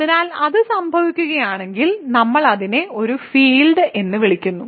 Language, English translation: Malayalam, So, if that happens we call it a field